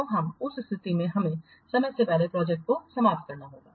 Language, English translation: Hindi, So in that case, the project has to be prematurely terminated